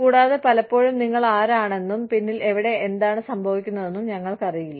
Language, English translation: Malayalam, And, many times, we do not even know, who, you know, where, what is happening, at the back